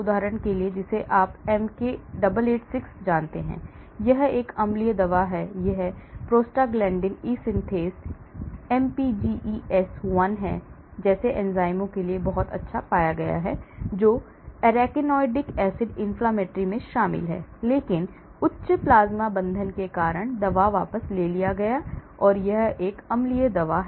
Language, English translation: Hindi, for example; one example you know MK 886, it is a drug, it is an acidic drug, it has been found very good for enzymes like prostaglandin e synthase, mpges1, which is involved in arachidonic acid inflammatory but because of the high plasma binding, the drug has to be withdrawn, so it is an acidic drug